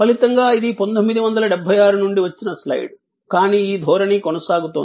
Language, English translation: Telugu, And as a result this is a slide from 1976, but this trend is continuing